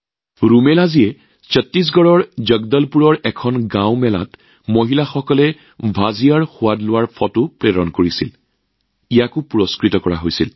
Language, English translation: Assamese, Rumelaji had sent a photo of women tasting Bhajiya in a village fair in Jagdalpur, Chhattisgarh that was also awarded